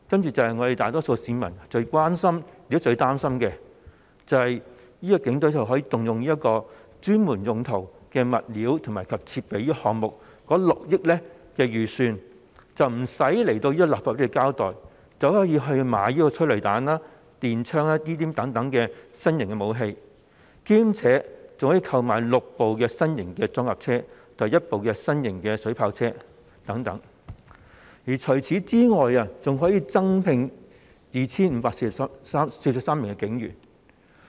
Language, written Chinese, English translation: Cantonese, 就是會發生大多數市民最關心和擔心的事情，警隊可以動用專門用途的物料及設備項目中的6億元預算；警隊無須向立法會交代，便可以直接購買催淚彈和電槍等新型武器，以及可以購買6部新型裝甲車及1部新型水炮車等，此外，警隊還可以增聘 2,543 名警員。, The greatest concern and worry of the majority of the public will come true―the Police Force can use the 600 million budget under the item of specialist supplies and equipment to procure new weapons such as tear gas and stun guns and also six new armoured personnel carriers and one new water cannon vehicle without the need to give an account to the Legislative Council . Moreover the Police Force will be able to recruit 2 543 additional police officers